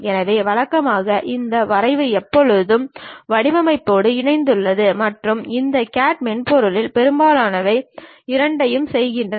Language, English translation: Tamil, So, usually this drafting always be club with designing and most of these CAD softwares does both the thing